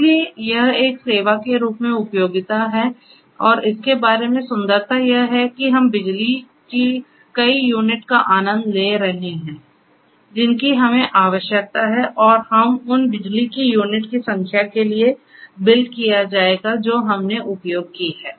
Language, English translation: Hindi, So, that is utility as a service and the beauty about it is that we keep on enjoying as many units of electricity as we need and we will be billed for the number of units of electricity that we have used